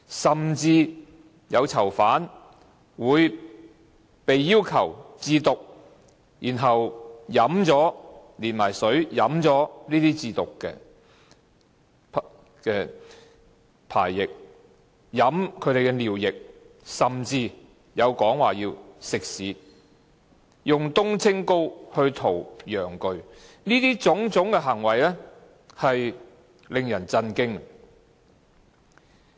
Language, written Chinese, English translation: Cantonese, 甚至有囚犯會被要求自瀆，然後連水飲掉這些自瀆的排液；飲他們的尿液，甚至有說他們要吃屎，以冬青膏塗抹陽具，這些種種行為令人震驚。, Some inmates were even asked to masturbate and drink their own discharge of masturbation together with water or to drink their own urine or even eat their own excrement or apply methyl salicylate to their penises . It is really astounding